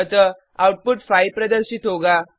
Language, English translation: Hindi, So, output will display 5